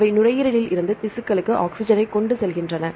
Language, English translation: Tamil, They transport oxygen from lungs to the tissues